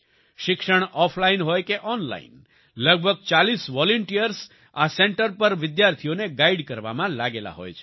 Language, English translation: Gujarati, Be it offline or online education, about 40 volunteers are busy guiding the students at this center